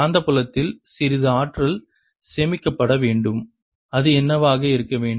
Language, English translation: Tamil, there should be a some energy stored in the magnetic field, and what should it be